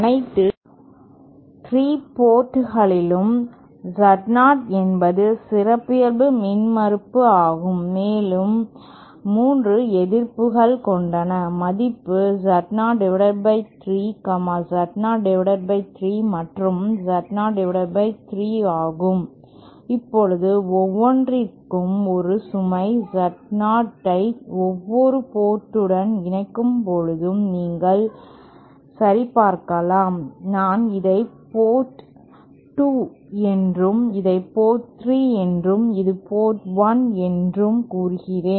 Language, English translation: Tamil, Say Z0 is the characteristic impedance at all 3 ports and say we have 3 resistances of value Z0 by 3, Z0 by 3 and Z0 by 3, now you can verify that if I connect a load Z0 to each of these ports, say I call this port 2, this as port 3 and this is port 1